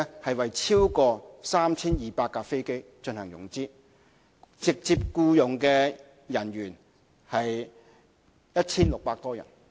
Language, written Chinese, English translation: Cantonese, 即是為超過 3,200 架飛機進行融資，直接僱用人員有 1,600 多人。, It translates into financing over 3 200 aircraft and directly employing some 1 600 people